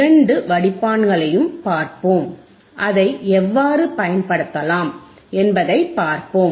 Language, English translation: Tamil, We will see both the filters and we will see how it can be used